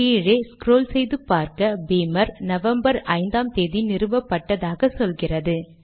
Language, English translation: Tamil, Scroll down to Beamer and you can see that it got installed on 5th of November